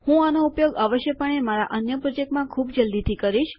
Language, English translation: Gujarati, I will be using these most definitely in one of my projects quite soon